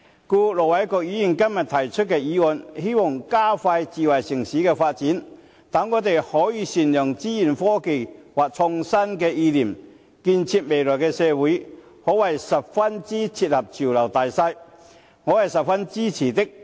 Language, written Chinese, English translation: Cantonese, 因此，盧偉國議員今天提出的議案，希望加快推動智慧城市的發展，讓我們可以善用資訊科技或創新意念，建設未來社會，可謂十分切合潮流大勢，我是十分支持的。, I very much support the motion proposed by Ir Dr LO Wai - kwok on expediting the promotion of smart city development which calls on us to make good use of information technology or innovative ideas for building the future society is in line with the general trend